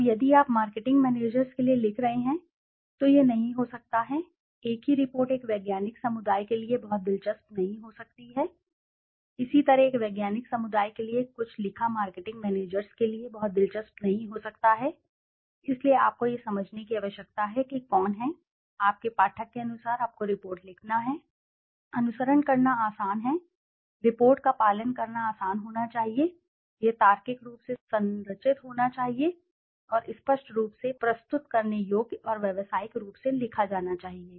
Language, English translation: Hindi, Now if you are writing for the marketing managers it might not be, the same report might not be very interesting for a scientific community, similarly something written for a scientific community might not be very interesting for a marketing manager so you need to understand who is your reader accordingly you have to write the report, easy to follow, the report should be easy to follow, it should be structured logically and written clearly, presentable and professional appearance